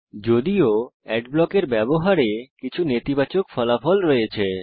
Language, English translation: Bengali, However, using ad blockers have some negative consequences